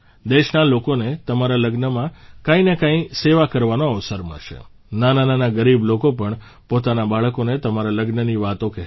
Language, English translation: Gujarati, The people of the country will get an opportunity to render some service or the other at your wedding… even poor people will tell their children about that occasion